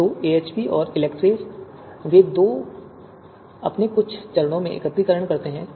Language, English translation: Hindi, So AHP and ELECTRE, they both in in some of their steps, they perform aggregation